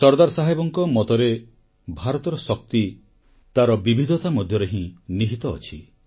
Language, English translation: Odia, SardarSaheb believed that the power of India lay in the diversity of the land